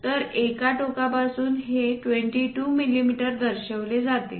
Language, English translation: Marathi, So, from one end it is shown 22 mm this one